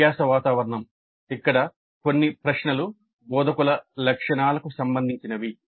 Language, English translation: Telugu, Then learning environment, some of the questions here are also related to instructor characteristics